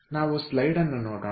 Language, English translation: Kannada, so let us ah look into the slide